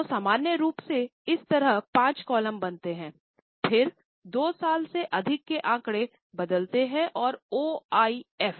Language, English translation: Hindi, So, normally make five columns like this particular than two years figures change and OIF